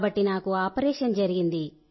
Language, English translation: Telugu, Have you had any operation